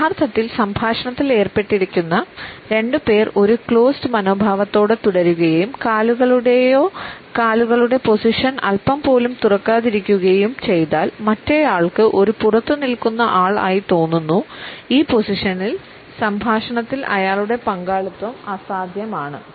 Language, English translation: Malayalam, If the two people who had originally been in the dialogue continue with a closed attitude and do not open their position of the feet or legs even a small bit; the other person feels totally as an outsider and the participation becomes impossible in this position